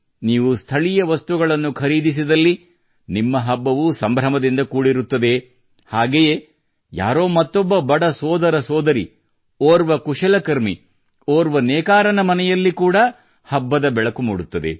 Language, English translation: Kannada, If you buy local, then your festival will also be illuminated and the house of a poor brother or sister, an artisan, or a weaver will also be lit up